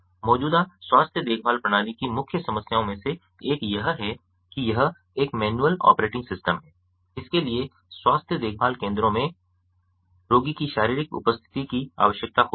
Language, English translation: Hindi, one of the main problems of the existing healthcare system is that it is more of a manual operating system, that is, it requires the physical presence of the patient at the health care centers